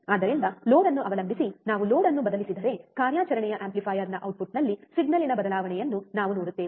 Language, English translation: Kannada, so, depending on the load, if we vary the load we will see the change in the signal at the output of the operational amplifier